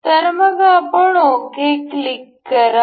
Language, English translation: Marathi, So, we will click ok